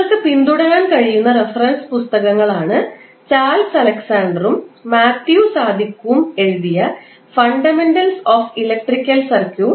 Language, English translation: Malayalam, The reference books which you can follow are like Fundamentals of Electric Circuits by Charles Alexander and Matthew Sadiku